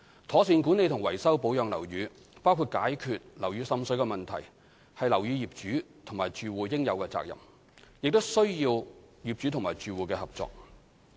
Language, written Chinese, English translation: Cantonese, 妥善管理和維修保養樓宇，包括解決樓宇滲水的問題，是樓宇業主及住戶應有的責任，亦需要有關業主及住戶的合作。, Proper management maintenance and repair of buildings including resolving water seepage problems are the responsibilities of building owners and occupiers and require the cooperation of the owners and occupiers concerned